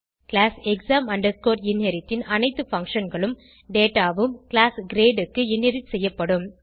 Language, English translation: Tamil, All the functions and data of class exam inherit will be inherited to class grade